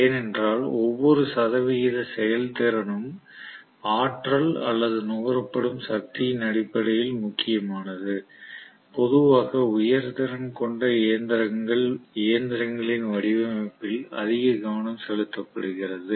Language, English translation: Tamil, Because every percentage efficiency matters in terms of the energy or the power that is being consumed, so that is the reason generally high capacity machines are paid at most attention in terms of design